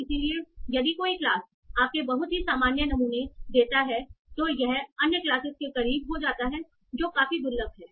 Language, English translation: Hindi, So if a class is very common, you under sample it such that it becomes close to the other classes that are quite rare